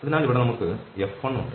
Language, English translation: Malayalam, So, here we have F1